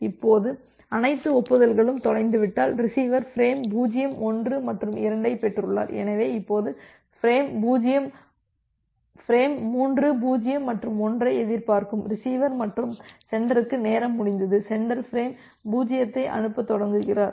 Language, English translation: Tamil, Now, if all the acknowledgement are lost the receiver has received frame 0 1 and 2 so, now, the receiver expecting frame 3 0 and 1 and sender gets a time out, once the sender gets the time out, sender starts sending frame 0